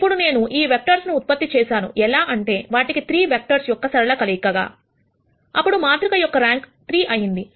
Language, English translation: Telugu, Now, if you had generated these vectors in such a way that they are a linear combination of 3 vectors, then the rank of the matrix would have been 3